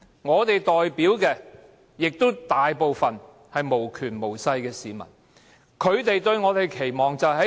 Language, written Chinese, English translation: Cantonese, 我們所代表的市民，大部分也是無權無勢的。, Most of the people we represent likewise have neither any power nor any influence